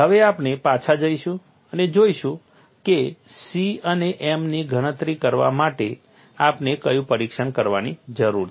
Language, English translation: Gujarati, Now, will go back and see what was the test that we need to do to calculate C and m